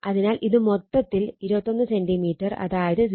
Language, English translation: Malayalam, So, this is actually 4 plus 2 is equal to 21 centimeter that is 0